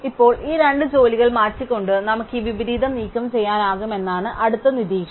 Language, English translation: Malayalam, Now, the next observation is that we can remove this inversion by swapping these two jobs